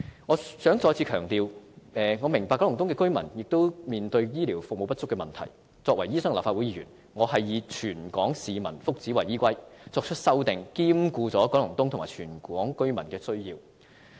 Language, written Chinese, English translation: Cantonese, 我想再次強調，我明白九龍東居民亦面對醫療服務不足的問題，但作為醫生和立法會議員，我是以全港市民的福祉為依歸，作出的修訂亦兼顧了九龍東和全港居民的需要。, I wish to stress again that I appreciate that residents of Kowloon East also face a shortage of healthcare services . But as a medical practitioner and Legislative Council Member I seek to ensure the well - being of people across the territory and my amendment gives regard to the needs of residents of Kowloon East as well as all residents of Hong Kong